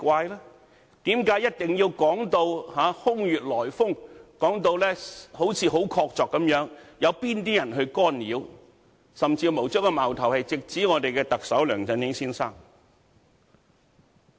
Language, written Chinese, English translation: Cantonese, 為何一定要說到空穴來風，說到好像很確鑿，有哪些人去干擾，甚至將矛頭直指特首梁振英先生？, Why should we make such baseless claim as if they have solid proof that someone has intervened and even lay the blame on Mr LEUNG Chun - ying?